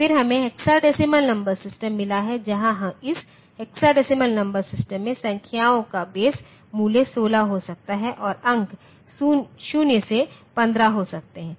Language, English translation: Hindi, Then we have got hexadecimal number system where this hexadecimal number system the numbers can be the base value is 16 and the digits can be 0 to 15